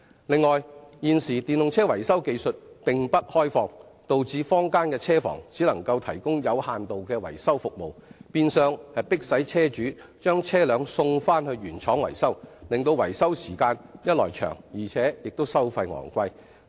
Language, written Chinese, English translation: Cantonese, 此外，現時電動車維修技術並不開放，導致坊間的車房只能提供有限度的維修服務，變相迫使車主把汽車送回原廠維修，一來令維修時間延長，二來維修費用亦高昂。, Furthermore the technical know - how of electric vehicle repairs is highly exclusive at present with the result that vehicle repairs workshops in the community can only provide very limited repairs services . Vehicle owners are in effect forced to send their EVs back to the manufacturers for repairs and maintenance . This results in longer repairs time on the one hand and higher repairs costs on the other